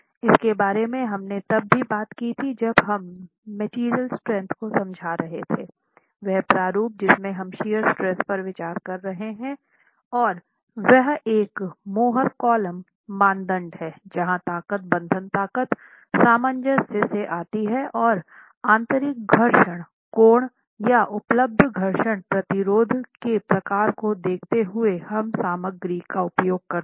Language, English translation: Hindi, In terms of the shear stress, again, this is something we had seen when we looked at the material strength, that the format in which we are considering the sheer strength is from a more coulum criterion where the strength comes from the bond strength cohesion and the internal friction angle or the frictional resistance available given the type of material that you are using